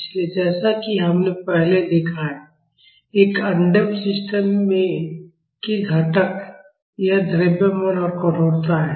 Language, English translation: Hindi, So, as we have seen earlier, the components of an undamped systems are it is mass and stiffness